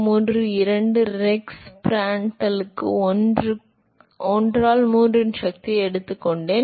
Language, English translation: Tamil, 332 Rex Prandtl to the power of 1 by 3